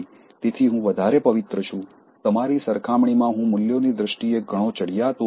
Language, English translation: Gujarati, So, I am holier, I am far superior in terms of my values compared to you